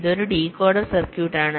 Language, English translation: Malayalam, this is a decoder circuit